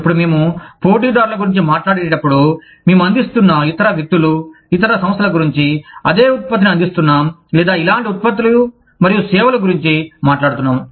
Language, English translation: Telugu, Now, when we talk about competitors, we are talking about other people, other organizations, who are offering the same product, or similar set of products and services, that we are offering